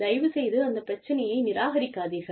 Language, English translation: Tamil, Please, do not dismiss the problem